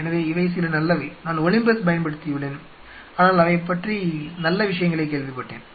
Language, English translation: Tamil, So, these are some of the good ones Olympus I have a used, but you know I have heard good things about it